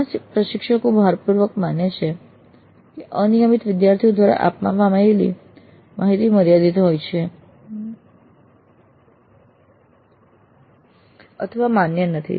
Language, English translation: Gujarati, Many instructors strongly feel that the data provided by irregular within courts, irregular students has limited or no validity